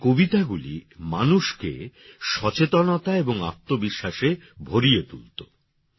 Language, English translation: Bengali, Her poems used to raise awareness and fill selfconfidence amongst people